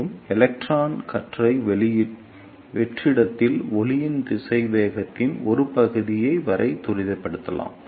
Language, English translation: Tamil, And the electron beam can be accelerated up to a selection of velocity of light in vacuum